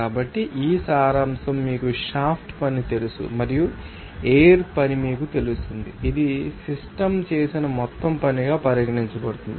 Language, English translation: Telugu, So, this summation of this you know shaft work and the flow work will be you know, regarded as the total work done by the system